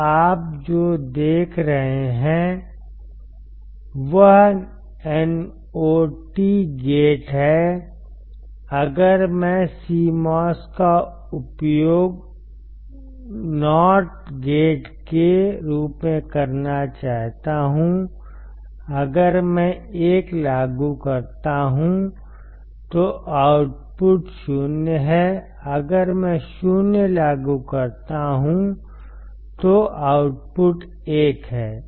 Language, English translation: Hindi, So, if you see is as not gate, if I want to use CMOS as a not gate , not gate is w if I apply 1 my output is 0 if I apply 0 my output is 1 right